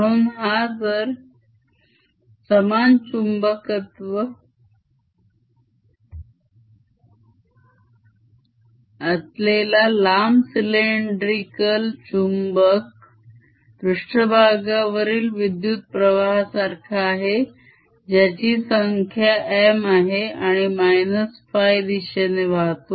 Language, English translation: Marathi, so this long, slender cylindrical magnet having uniform magnetization is equivalent to having surface current which is equal to m, flowing in phi direction and no bulk current